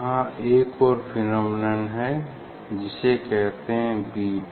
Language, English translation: Hindi, we get this another phenomena, so that is called beat